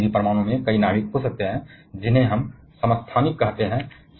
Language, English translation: Hindi, But a any atom can have multiple nucleus which we call as isotopes